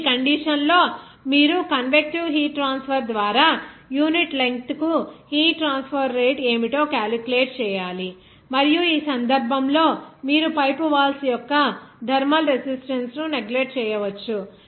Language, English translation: Telugu, Now, at this condition you have to calculate what should be the rate of heat transport per unit length by convective heat transfer and in this case you can neglect the thermal resistance of the pipe walls